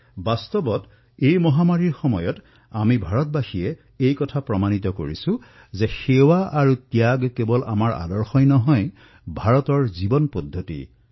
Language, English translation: Assamese, In fact, during this pandemic, we, the people of India have visibly proved that the notion of service and sacrifice is not just our ideal; it is a way of life in India